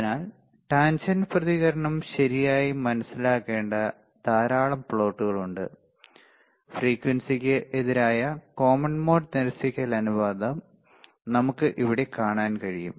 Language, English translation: Malayalam, So, lot of plots are there that we need to understand tangent response right, we can we can see here common mode rejection ratio versus frequency